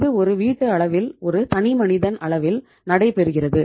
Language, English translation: Tamil, So itís itís happening at the household level, at single individualís level